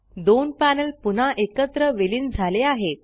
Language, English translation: Marathi, The two panels are merged back together